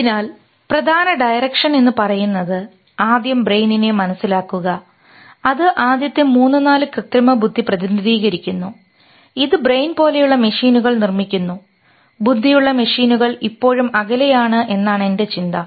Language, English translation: Malayalam, So the major directions are understanding the brain first which elucidates the first three four artificial intelligence creating machines like brain intelligent intelligent machines, still far